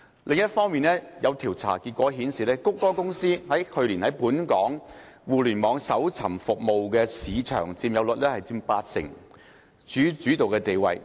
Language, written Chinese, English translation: Cantonese, 另一方面，有調查結果顯示，谷歌公司去年在本港互聯網搜尋服務的市佔率近八成，處主導地位。, On the other hand the findings of a survey have indicated that last year Google Inc had a market share of nearly 80 % in Internet search - engine service in Hong Kong occupying a dominant position